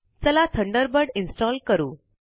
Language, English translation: Marathi, Lets launch Thunderbird